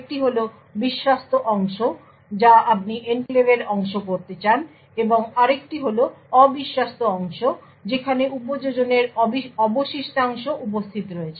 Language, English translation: Bengali, One is the trusted part which you want to be part of the enclave and also the untrusted part where the remaining part of the application is present